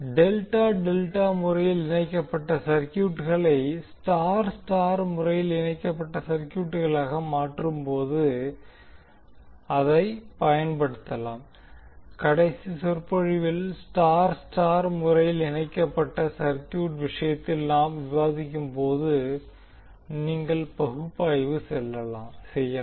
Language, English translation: Tamil, So using that when you convert delta delta connected circuit into star star connected circuit, you can simply analyze as we discuss in case of star star connected circuit in the last lecture